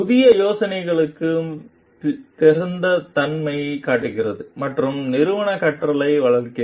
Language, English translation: Tamil, Shows openness to new ideas and fosters organizational learning